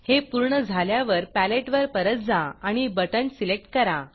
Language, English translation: Marathi, Now Go back to the Palette and choose a Panel